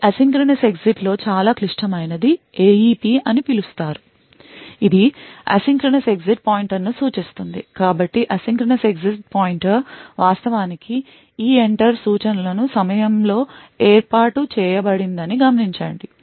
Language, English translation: Telugu, So critical in this asynchronous exit is something known as the AEP which stands for the Asynchronous Exit Pointer, so note that the Asynchronous Exit Pointer is actually set up during the EENTER instruction